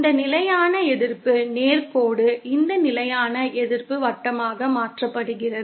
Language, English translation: Tamil, This constant resistance straight line is converted to this constant resistance circle